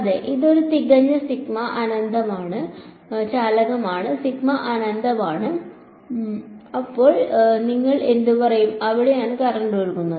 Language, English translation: Malayalam, So, no it is a perfect conductor sigma is infinity, then what will you say where is how much thickness is the current flowing in